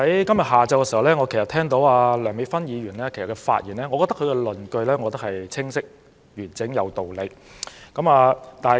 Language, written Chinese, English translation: Cantonese, 今天下午聽罷梁美芬議員的發言，我認為她論據清晰、完整而有理。, I have listened to the speech made by Dr Priscilla LEUNG this afternoon and consider her arguments clear complete and reasonable